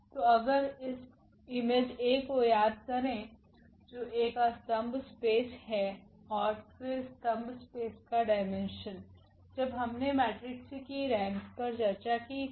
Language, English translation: Hindi, So, if we remember the image A is the column space of A and then the dimension of the column space when we have discussed the rank of the matrix